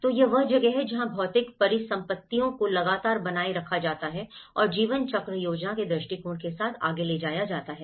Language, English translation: Hindi, So, this is where the physical assets are continuously maintained and taken further with a lifecycle planning approach